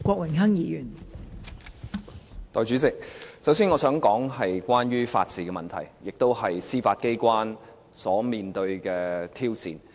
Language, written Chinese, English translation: Cantonese, 代理主席，首先我想談關於法治的問題，包括司法機關所面對的挑戰。, Deputy President first of all I want to talk about the issue of the rule of law which includes the challenges faced by our Judiciary